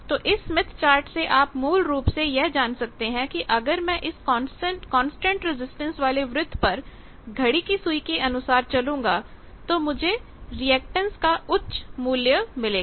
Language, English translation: Hindi, So, from that smith chat you know basically that means, I will move on the constant resistance circle, but I will move clockwise and get a higher value of reactance